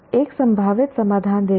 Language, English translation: Hindi, See a possible solution to